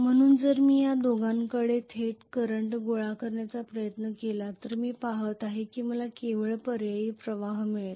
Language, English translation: Marathi, So if I try to collect the current directly from these two I am going to see that I will get only alternating current